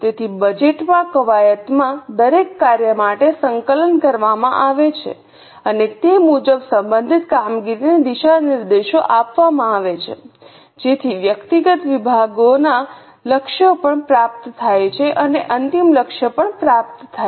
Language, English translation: Gujarati, So, in the budgeting exercise, coordination is done for each function and accordingly the directions are given to that respective function so that individual departments goals are also achieved and the final goal is also achieved